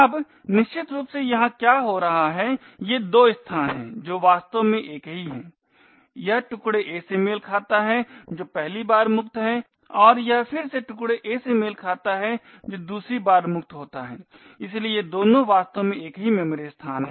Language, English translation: Hindi, Now essentially what is happening here is these two locations are what are actually the same this corresponds to the chunk a of which is free the for the first time and this corresponds to the chunk a again which is free for the second time, so these two are in fact the same memory location